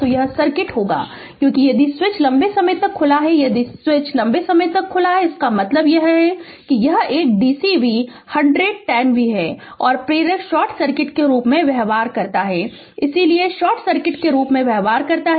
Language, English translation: Hindi, So, this will be the circuit because if switch is open for a long time if the switch is open for a long time; that means, ah that it is a dc volt 100 10 volt right and inductor behaves as a short circuit inductor behaves as a short circuit so, it is short